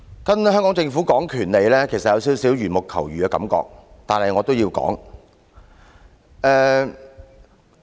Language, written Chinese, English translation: Cantonese, 跟香港政府談論權利，其實有少許緣木求魚的感覺，但我也要說下去。, Discussing the matter of rights with the Hong Kong Government actually feels like milking the ram but I must go on talking about it